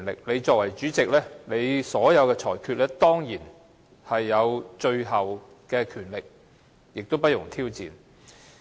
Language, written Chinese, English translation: Cantonese, 你作為主席，當然有權作最終裁決，亦不容受到挑戰。, As the President you certainly have the authority to make final rulings which may not be challenged